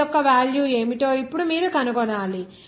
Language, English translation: Telugu, Now you have to find out what will the value of m